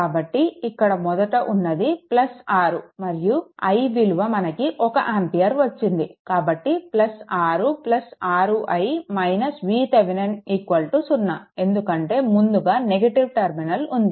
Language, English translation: Telugu, So, I can write here plus 6 right and i is equal to you got 1 ampere right; so, plus 6 plus 6 into i minus V Thevenin is equal to 0 because it is encountering negative terminal passed